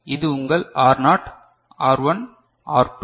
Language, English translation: Tamil, So, this is your R naught, R1, R2 right